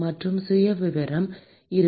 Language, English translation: Tamil, And the profile will be